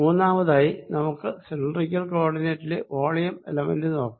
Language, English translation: Malayalam, third, let's look at the volume element in the cylindrical coordinates